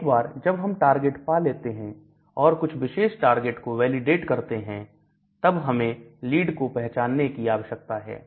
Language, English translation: Hindi, Once I have a target and once I have validated that particular target then you need to identify a lead